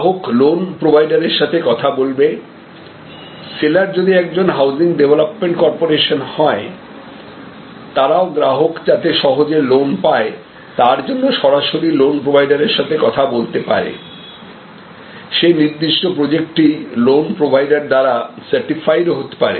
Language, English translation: Bengali, The customer will talk to the loan provider, but the seller if it is a housing development corporation, they may also talk directly to the loan provider to see that the customer gets the loan easily, the particular project, the housing project is certified by the loan provider